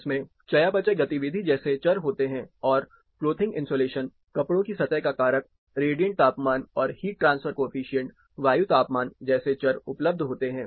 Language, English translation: Hindi, It has variables from metabolic activity, it has variables like, the clothing, surface factor of clothing, radiant temperature is there then heat transfer coefficient, air temperature is available